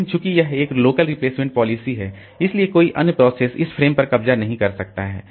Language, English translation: Hindi, But since it is a local replacement policy, no other process can grab these frames also